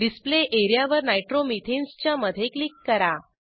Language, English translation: Marathi, Click on the Display area in between Nitromethanes